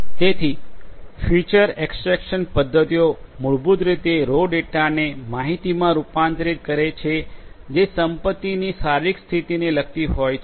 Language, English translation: Gujarati, So, feature extraction methods basically what they do is they convert the raw data into information that relates to the physical state of the asset